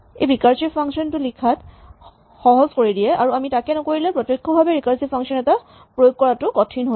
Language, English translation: Assamese, So, this makes it easier to write recursive functions and if we do not do this then it is a bit harder to directly implement recursive functions